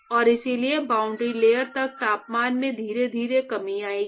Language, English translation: Hindi, And therefore, there will be a gradual decrease in the temperature till the boundary layer